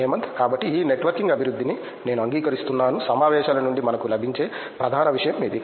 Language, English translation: Telugu, So, I agree with this networking development is the major thing which we get from the conferences